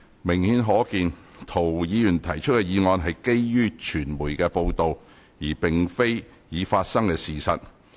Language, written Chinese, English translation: Cantonese, 明顯可見，涂議員提出的議案是基於傳媒的報道，而並非已發生的事實。, Obviously the motion proposed by Mr TO is based on media reports rather than any actual happenings